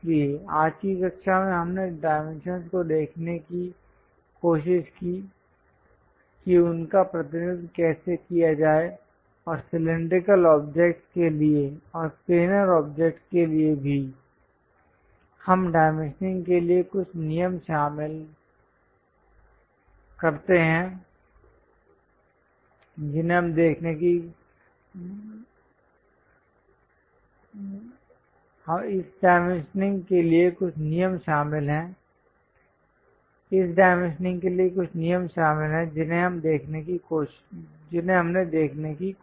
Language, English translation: Hindi, So, in today's class, we tried to look at dimensions, how to represents them and for cylindrical objects and also planar objects, what are the few rules involved for this dimensioning we tried to look at